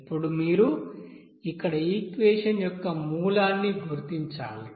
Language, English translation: Telugu, Now you have to determine the root of the equation here